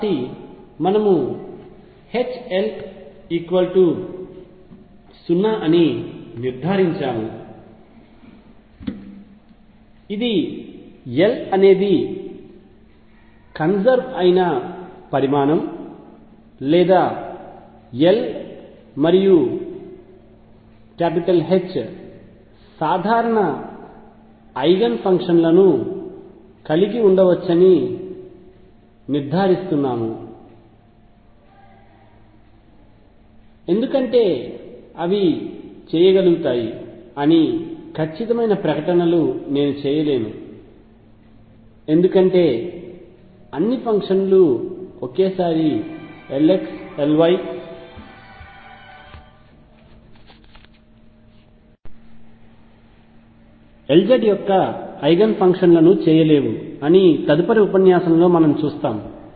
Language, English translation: Telugu, So, we conclude that H L is 0 which implies that L is a conserved quantity or L and H can have common eigen functions I am not making a very definitive statements that they do they can because we see in the next lecture that all functions cannot be made simultaneously eigen functions of L x, L y and L z